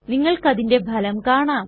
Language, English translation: Malayalam, See the result for yourself